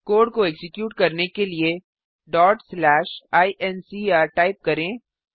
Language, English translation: Hindi, To execute the code, type ./incr